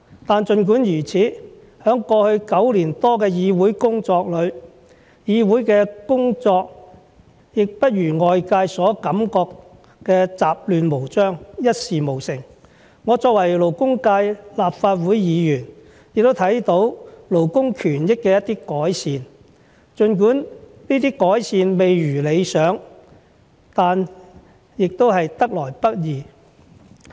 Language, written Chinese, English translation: Cantonese, 但儘管如此，在過去9年多的議會工作裏，議會的工作也不如外界所感覺的雜亂無章，一事無成，我作為勞工界立法會議員，也看到勞工權益的一些改善，儘管這些改善未如理想，但也得來不易。, However my nine - odd years of Council work have not been as chaotic and futile as the outsiders think . As the Legislative Council Member representing the labour sector I have seen some improvements in labour rights . The improvements though far from satisfactory are not easy to come by